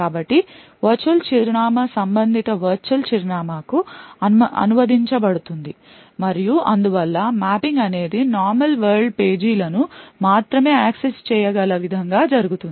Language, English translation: Telugu, So, the virtual address would then get translated to the corresponding physical address and therefore the mapping is done in such a way that it is only the normal world pages which can be accessed